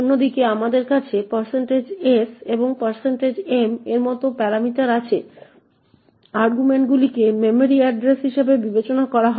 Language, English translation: Bengali, On the other hand, we have parameter is like % s and % m were the arguments are considered as memory addresses